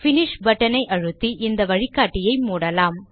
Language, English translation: Tamil, Click on the Finish button to close this wizard